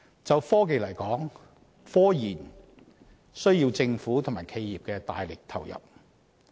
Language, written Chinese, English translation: Cantonese, 就科技而言，科研需要政府及企業大力投入。, In respect of technology scientific research requires vigorous investments from governments and enterprises